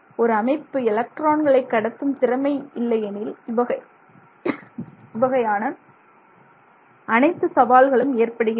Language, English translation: Tamil, So, all these problems can happen if the system is not conducting electrons very well